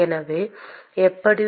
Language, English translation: Tamil, So, the how